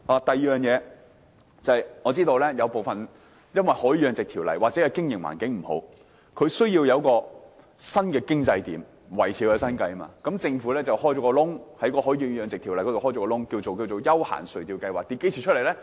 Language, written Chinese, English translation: Cantonese, 第二，我知道部分養魚戶或許因為經營環境不佳，需要開闢新收入來源以維持生計，政府於是在《海魚養殖條例》中打開一條縫隙，名為"休閒垂釣業務計劃"。, What can these mariculturists do? . Second I know that perhaps due to the undesirable business environment some of the mariculturists may need to explore new sources of income to maintain a living . The Government has opened a gap for the operation of Business Plan for Recreational Fishing Activity under MFCO